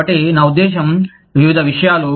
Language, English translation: Telugu, So, I mean, various things